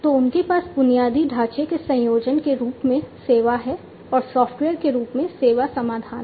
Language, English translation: Hindi, So, they have a combination of infrastructure as a service, and software as a service solutions